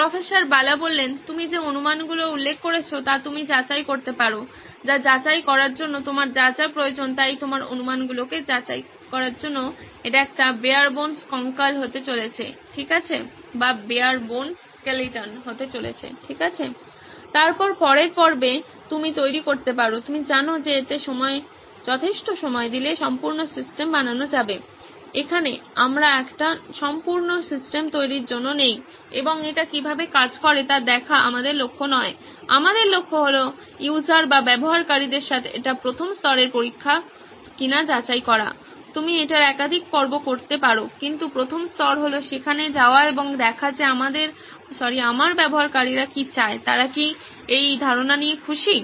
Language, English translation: Bengali, The assumptions that you have mentioned if you can validate that, whatever you need to validate that, so this is going to be barebones skeleton just to validate your assumptions okay, then the next round you can sort of build, you know give it enough meet to make it a complete system, here we are not there to make a full fledged system and see how it works that is not our aim, our aim is to check with the users this is the first level of testing, you can do multiple rounds of these but the first level is to just go and see what is it that my users want, are they comfortable with this idea